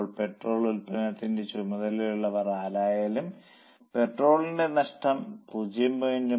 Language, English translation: Malayalam, So, whoever is in charge of sale of petrol, nobody will ask if the loss of petrol is limited to 0